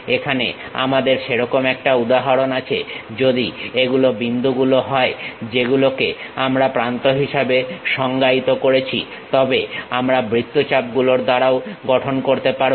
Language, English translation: Bengali, Here we have such an example cylinder, if these are the points what we are defining as edges; then we can construct by arcs also